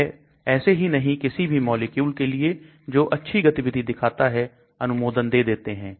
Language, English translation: Hindi, They do not just give approval for any molecule which shows very good activity